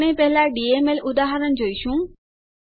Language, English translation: Gujarati, We will first see a DML example